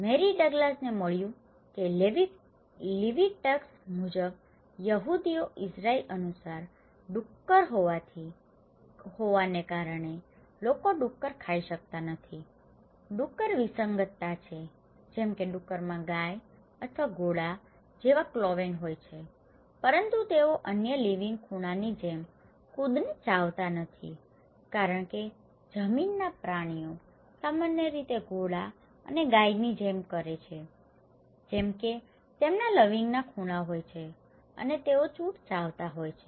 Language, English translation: Gujarati, Mary Douglas found that according to the Leviticus, according to the Jews Israeli, people cannot eat pigs because pig is; pigs are anomalies, like pigs have cloven hooves like cow or horse but they do not chew the cud like other cloven hooves as land animals generally do like horse or cow they have cloven hooves and they do chew cud